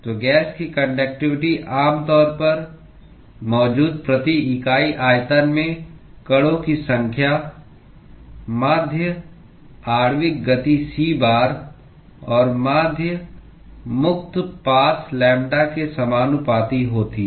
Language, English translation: Hindi, So, the conductivity of the gas is typically proportional to the number of particles per unit volume that is present, the mean molecular speed c bar, and the mean free path lambda